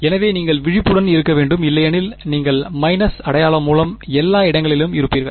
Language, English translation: Tamil, So, you should just be aware because otherwise you will be off everywhere by minus sign